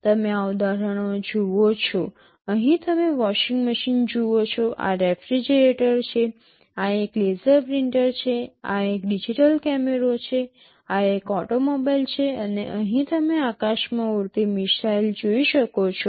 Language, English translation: Gujarati, You see these examples, here you see a washing machine, this is a refrigerator, this is a laser printer, this is a digital camera, this is an automobile and here you can see a missile that is flying through the sky